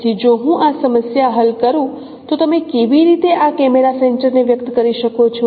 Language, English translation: Gujarati, So if I solve this problem, so how do how can we express this camera center